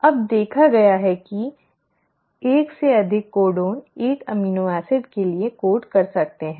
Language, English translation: Hindi, Now there is seen that the more than 1 codon can code for an amino acid